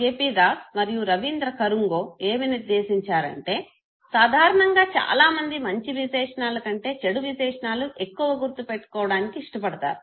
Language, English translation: Telugu, P Das and Rabindra Kanungo, they inferred that people prefer to remember bad attributes rather than good ones